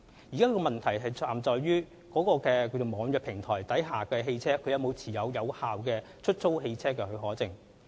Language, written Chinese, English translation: Cantonese, 現時的問題在於網約平台下的汽車是否持有有效的出租汽車許可證。, The question lies in whether the cars for hire through the e - hailing platforms have valid HCPs